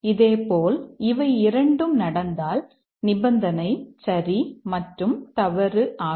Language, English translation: Tamil, Similarly for if both this take place, that is the condition is true and false